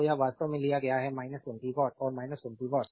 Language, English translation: Hindi, So this is actually took minus 20 watt and minus 20 watt